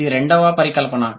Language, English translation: Telugu, This is the second hypothesis